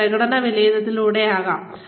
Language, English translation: Malayalam, Could be through, performance appraisals